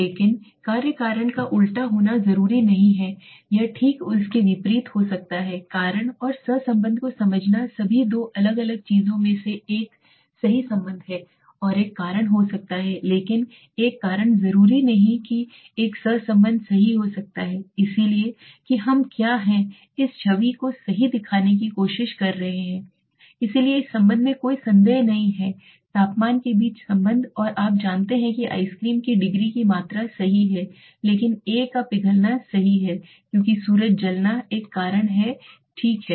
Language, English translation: Hindi, But causality might not necessarily be on the reverse or the vice versa right so one is a to understand the cause and the correlation are first of all two different things right a correlation might be a cause but a cause might not necessarily be have a correlation right so that is what we were trying to show in this image right so there is a correlation is no doubt about it this correlation between temperature and you know the amount of degree of ice cream is there right but the melting of the a is cause right the sun burn is a cause right okay